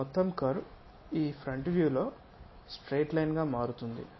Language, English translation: Telugu, This entire curve will turns turns out to be a straight line on this front view